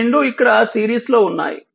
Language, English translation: Telugu, So, it is here it both are in series